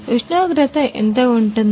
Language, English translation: Telugu, And how much is the temperature